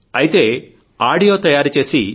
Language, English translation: Telugu, So make an audio and…